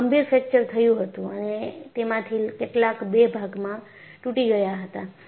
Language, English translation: Gujarati, They had serious fractures and some of them broke into 2